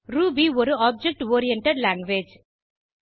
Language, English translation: Tamil, Ruby is an object oriented language